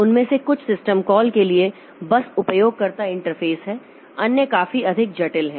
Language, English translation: Hindi, Some of them are simply user interfaces to system calls, others are considerably more complex